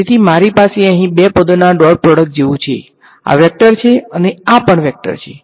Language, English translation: Gujarati, So, I have its like the dot product of two things over here right; this is a vector, this is a vector